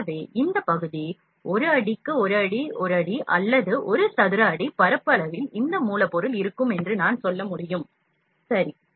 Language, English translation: Tamil, So, this area is 1 feet by 1 feet, I can say that on the area of 1 feet by 1 feet or 1 square feet this object would be manufactured, ok